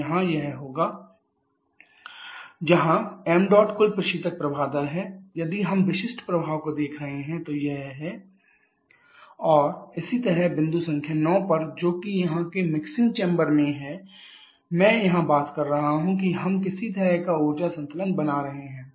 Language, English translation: Hindi, So, here it will be 1 x into total refrigerant flow rate into h 1 – h 8 or if we are looking for specific effect it is 1 x into h 1 – h 8 and similarly at point number 9 that is in the mixing chamber here that is I am talking about we are having some kind of energy balance going on